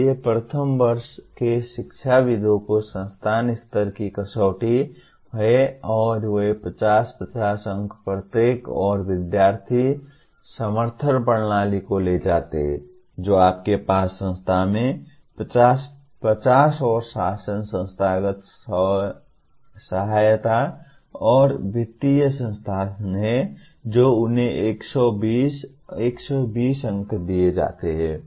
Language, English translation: Hindi, So first year academics is the institution level criterion and they carry 50, 50 marks each and student support systems that you have in the institution carry 50, 50 and governance, institutional support and financial resources they are given 120, 120